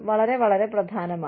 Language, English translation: Malayalam, Very, very, important